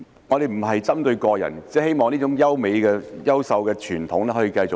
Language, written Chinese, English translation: Cantonese, 我不是針對個人，只是希望這種優秀的傳統可以延續下去。, I am not targeting individuals; I just hope that this excellent tradition can continue